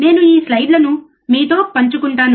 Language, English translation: Telugu, And I am sharing this slides with you